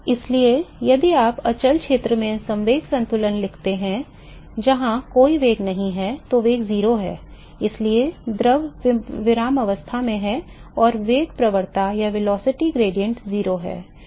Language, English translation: Hindi, So, if you write the momentum balance in the quiescent region, where there is no velocity velocity is 0 because of fluid is at rest and the velocity gradient is 0